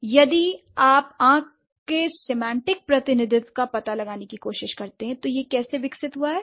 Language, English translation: Hindi, So, if you try to find out the semantic representation of I, so how it has developed